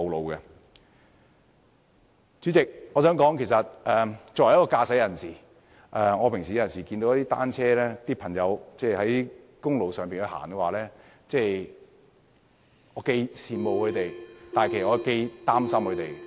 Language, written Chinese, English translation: Cantonese, 代理主席，我想指出的是作為一名駕駛者，當我日常看到單車使用者在公路上行駛，我既羨慕又擔心。, Deputy President I wish to point out that as a driver every time I see cyclists riding on public roads I feel envious yet worried